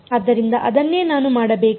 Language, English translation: Kannada, So, that is what we have to do